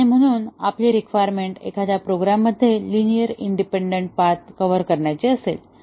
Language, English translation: Marathi, And therefore, our requirement will be to cover the linearly independent paths in a program